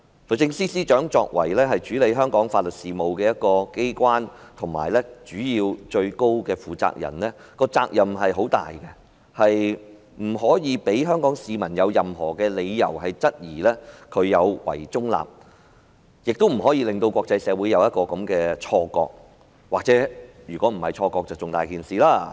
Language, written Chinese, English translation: Cantonese, 律政司作為處理香港法律事務的機關，而律政司司長作為機關的最高負責人，她的責任重大，不可以讓香港市民有任何理由質疑她有違中立，亦不可以令國際社會有這種錯覺——萬一不是錯覺，這樣更嚴重。, The Department of Justice DoJ which is the authority in charge of Hong Kongs legal affairs and the Secretary for Justice who is the highest person in charge of this authority should have an immense responsibility . Therefore she should not give the public any reason to question that she is not impartial and she should not give the wrong impression to the international community―in case it is not a wrong impression―a much worse scenario